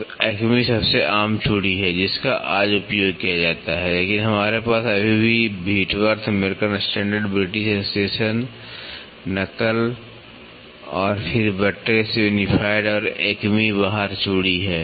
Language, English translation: Hindi, So, Acme is the most common thread which is used today, but we still have Whitworth, American Standard, British Association, Knuckle and then, Buttress, Unified and Acme external thread